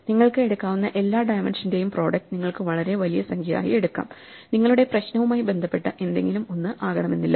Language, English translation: Malayalam, So, you can take the product of all the dimensions you can take a very large number, it does not matter something related to what your problem as